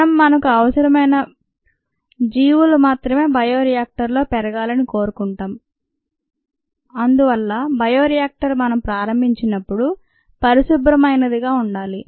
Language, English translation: Telugu, we want only the organisms of our interest to grow in the bioreactor and therefore the bioreactor should be a clean slate when we begin